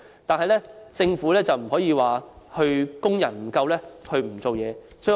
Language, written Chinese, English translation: Cantonese, 但是，政府不能因為工人不足而不作為。, However the Government cannot adopt a laissez - faire approach simply because there are not enough workers